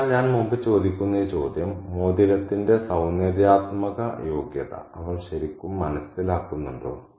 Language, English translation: Malayalam, So, again this question that I asked earlier, does she really realize the aesthetic merit of the ring